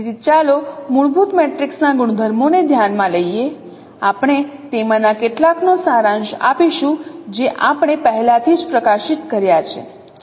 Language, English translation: Gujarati, So now let us consider the properties of fundamental matrix we will be summarizing some of them we have already highlighted